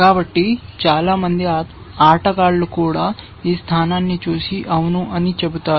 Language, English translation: Telugu, So, even players, most even players will look at this position and say yes